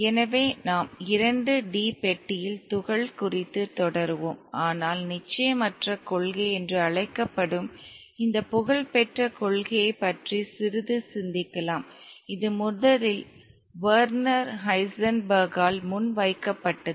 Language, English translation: Tamil, So, we shall continue the particle in a 2D box but for the moment let us consider a little bit on this famous principle called the uncertainty principle which was first put forward by Werner Heisenberg